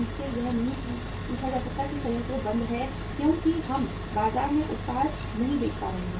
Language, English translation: Hindi, They cannot be asked that plant is shut because we are not able to sell the product in the market